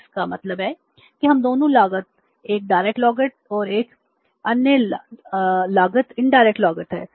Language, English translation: Hindi, So it means we have both the, one cost is a direct cost and other cost is the indirect cost